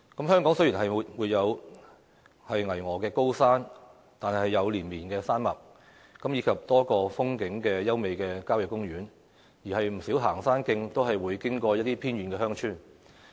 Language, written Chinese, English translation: Cantonese, 香港雖然沒有巍峨高山，卻有連綿山脈，以及多個風景優美的郊野公園，而不少行山徑都會經過一些偏遠鄉村。, Though mountains in Hong Kong are not lofty there are rolling hills scenic country parks and many hiking trails that traverse through certain remote villages